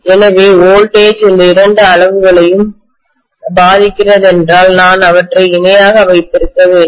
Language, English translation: Tamil, So if the voltage is affecting both these quantities, I should necessarily have them in parallel